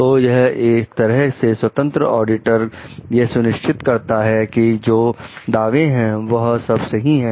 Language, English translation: Hindi, So, it is like the independent auditors to make sure the claims are correct